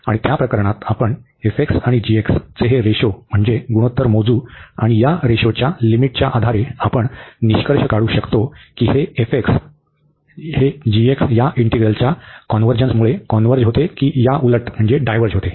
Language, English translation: Marathi, And in that case, we compute this ratio of his f and g and based on the limit of this ratio you will conclude, whether the f converges for given the convergence of the integral of g or other way round